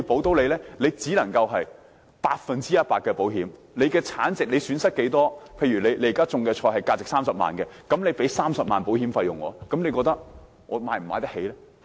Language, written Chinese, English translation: Cantonese, 只能要業者承擔百分百的風險，產值多少、損失多少，例如所種的菜價值30萬元，便要支付30萬元保險費，你認為農民負擔得起嗎？, Members in the industry can only bear all the risk 100 % paying a premium equivalent to the value of their produce or their loss . In other words if the crops they grow cost 300,000 they have to pay a premium of 300,000 . Do Members think farmers can afford that?